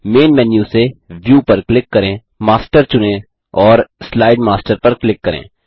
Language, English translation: Hindi, From the Main menu, click View, select Master and click on Slide Master